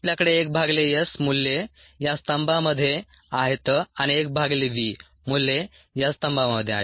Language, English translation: Marathi, yes, we have one by s the values on this column, and one by v, the values on this column